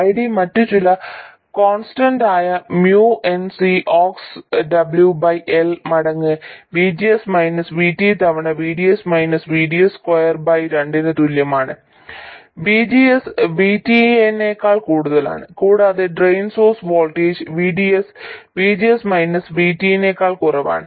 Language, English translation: Malayalam, ID is equal to some other constant Mion Cioxx W by L times VGS minus VT times VDS minus VDS squared by 2 and this is when VGS is more than VT and the drain source voltage VDS is less than VGS minus VT